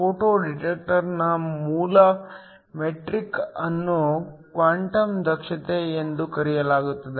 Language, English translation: Kannada, The basic metric of a photo detector is called the Quantum efficiency